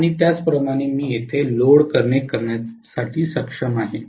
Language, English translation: Marathi, And similarly, I would be able to connect the load here